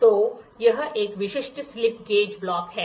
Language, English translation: Hindi, So, this is a typical slip gauge block